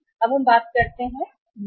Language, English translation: Hindi, Now we talk about the inventories